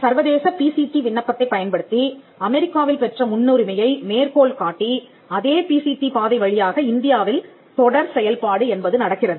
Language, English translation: Tamil, Using the PCT international application citing the priority in United States; so, the follow up happens in India through the PCT route